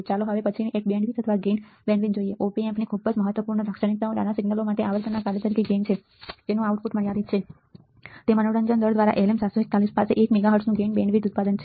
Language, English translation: Gujarati, Let us see the next one bandwidth or gain bandwidth product, very important characteristics of an Op amp the gain as a function of frequency for smaller signals right that is output is unlimited by slew rate the LM741 has a gain bandwidth product of 1 megahertz ok